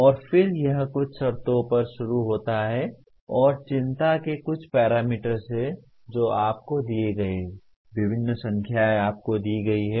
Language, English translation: Hindi, And then it starts at some conditions and there are certain parameters of concern are given to you, various numbers are given to you